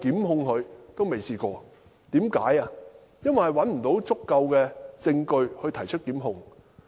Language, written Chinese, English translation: Cantonese, 因為無法找到足夠證據以提出檢控。, Because it could not find sufficient evidence for initiating a prosecution